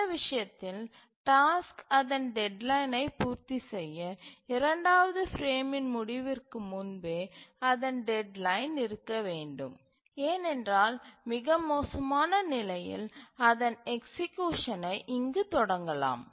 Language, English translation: Tamil, And in this case for the task to meet its deadline we must have its deadline before the end of the second frame because we may at most start its execution here